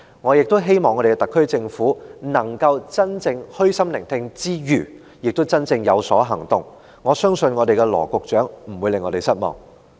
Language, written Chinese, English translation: Cantonese, 我亦希望特區政府能在虛心聆聽之餘，也真的有所行動，我相信羅局長不會令我們失望。, I also hope that the SAR Government will not only listen with an open mind but take genuine actions as well . I believe Secretary Dr LAW will not let us down